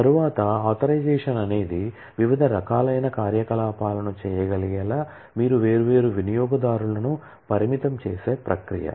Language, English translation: Telugu, Next, authorization is the process by which you restrict different users to be able to do different kind of operations